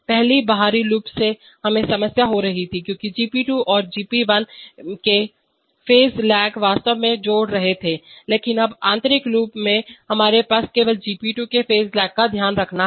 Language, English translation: Hindi, Previously the outer loop we are having problem because the phase lags of GP2 and GP1 were actually adding up, but now in the inner loop we have only the phase lag of GP2 to take care of